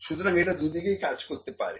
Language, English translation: Bengali, So, it can work in either way